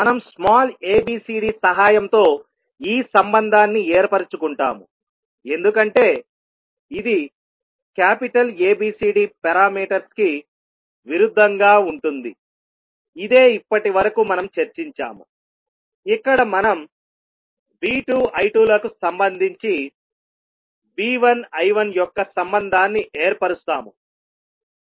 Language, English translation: Telugu, So we stabilise this relationship with the help of small abcd because it is opposite to the capital ABCD parameter which we have discussed till now where we stabilise the relationship of V 1 I 1 with respect to V 2 I 2